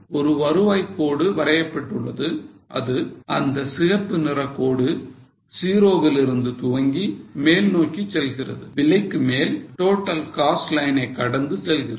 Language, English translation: Tamil, A revenue line is also drawn that is a red line which starts with zero and goes up beyond a point crosses the total cost line